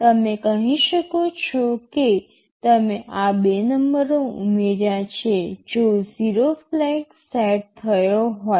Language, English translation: Gujarati, Like youYou can say you add these 2 numbers provided the 0 flag is set